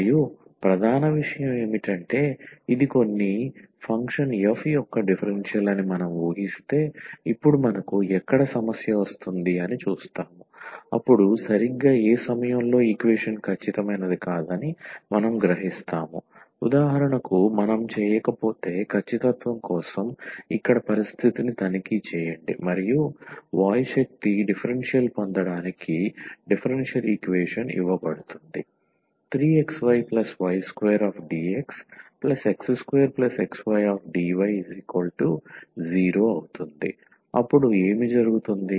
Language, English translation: Telugu, And the main point is we will see that where we will get the problem now if we assume that this is the differential of some function f, then exactly at what point we will realize that the equation is not exact, if for instance we did not check the condition here for the exactness and just proceed to get air force differential is given differential equation then what will happen